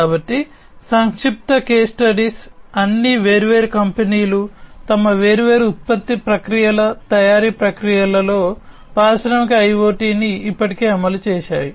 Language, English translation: Telugu, So, some brief case studies, we will go through which all different companies have already implemented Industrial IoT in their different, different, you know production processes manufacturing processes and so on